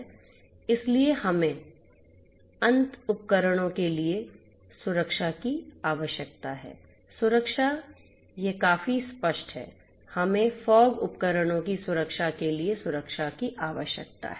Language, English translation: Hindi, So, we need security of for end devices protection this is quite obvious, we need security for the protection of fog devices protection